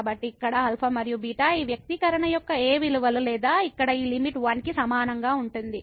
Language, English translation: Telugu, So, for what values of alpha and beta this expression here or this limit here is equal to